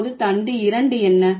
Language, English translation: Tamil, Now what is the stem 2